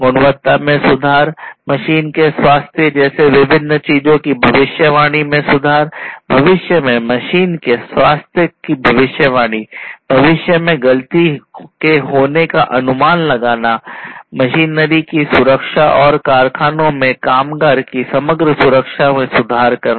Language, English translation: Hindi, Improving the quality, improving the predictive predictability; predictability of different things like the health of the machine; in the future predicting the health of the machine, predicting whether a fault can happen in the future and so on, and improving the safety of the machinery and the safety, overall safety of the workers in the factories